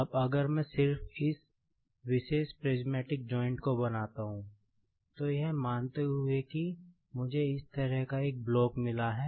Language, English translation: Hindi, Now, if I just draw this particular prismatic joint, supposing that I have got a block like this